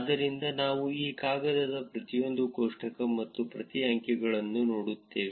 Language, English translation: Kannada, So, we will look at every table and every figure in this paper